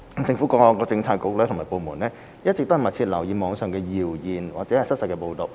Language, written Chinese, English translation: Cantonese, 政府各政策局及部門一直密切留意網上謠言或失實報道。, Bureaux and departments have always kept in view closely rumours or untrue reports on the Internet